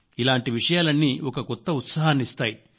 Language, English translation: Telugu, All these things adds to enthusiasm